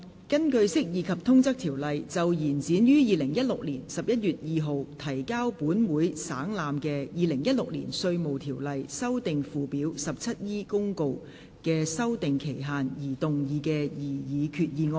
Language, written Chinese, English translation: Cantonese, 根據《釋義及通則條例》就延展於2016年11月2日提交本會省覽的《2016年稅務條例公告》的修訂期限而動議的擬議決議案。, Proposed resolution under the Interpretation and General Clauses Ordinance to extend the period for amending the Inland Revenue Ordinance Notice 2016 which was laid on the Table of this Council on 2 November 2016